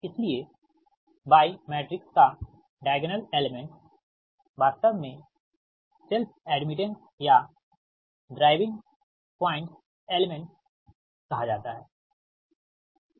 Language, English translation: Hindi, so diagonal elements of y matrix actually is not known as self admittance or driving point admittance